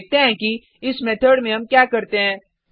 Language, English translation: Hindi, Let us see what we do in this method